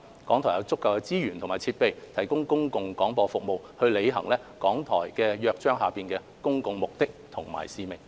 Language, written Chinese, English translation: Cantonese, 港台有足夠的資源及設備提供公共廣播服務，履行《香港電台約章》下的公共目的及使命。, RTHK has sufficient resources and equipment for providing public service broadcasting to fulfil the public purposes and mission under the Charter of RTHK